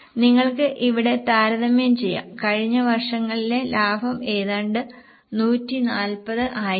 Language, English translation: Malayalam, You can compare here the profit as almost from 140 was the profit of last year